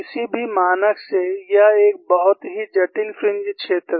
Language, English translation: Hindi, By any standard, it is a very complex fringe field